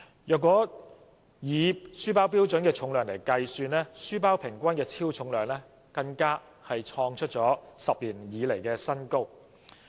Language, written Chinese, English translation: Cantonese, 如果以書包的標準重量計算，書包平均的超重量更創出10年新高。, Calculating on the basis of the standard weight of a school bag the average excessive weight of school bags has even reached a 10 - year new height